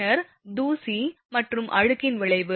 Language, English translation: Tamil, Then effect of dust and dirt